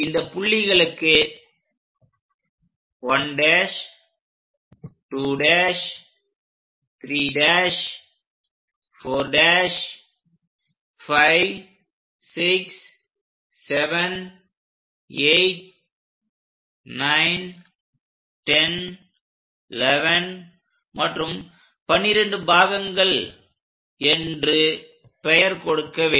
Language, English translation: Tamil, Name these points as 1 prime 2 prime 3 prime 4 prime 5, 6, 7, 8, 9, 10, 11 and 12 parts